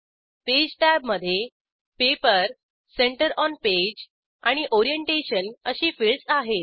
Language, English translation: Marathi, Page tab contains fields like Paper, Center on Page and Orientation